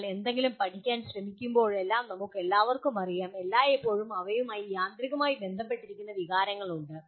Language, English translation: Malayalam, We all know whenever we are trying to learn something, there are always feelings automatically associated with that